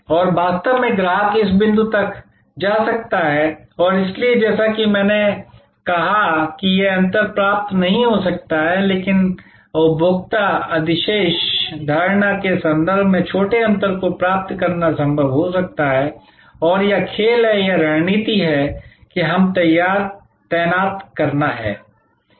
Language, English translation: Hindi, And in reality the customer may go up to this point and so as I said this gap, may not be achievable, but smaller gap in terms of consumer surplus perception may be possible to achieve and this is the game or this is the strategy that we have to deploy